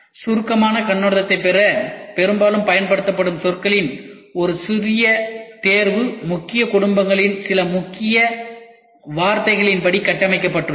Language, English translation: Tamil, To obtain a brief overview a small selection of the mostly used terms are structured according to a few families of keywords